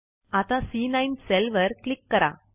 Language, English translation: Marathi, So lets click on the C9 cell